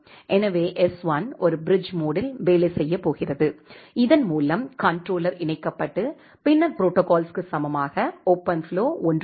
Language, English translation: Tamil, So, s1 is going to work as a bridge mode with which the controller is getting connected then protocols equal to OpenFlow 13